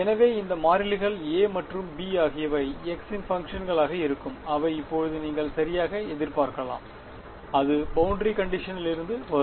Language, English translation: Tamil, So, these constants A and B will be functions of x prime that you can sort of anticipate now itself right and that will come from boundary condition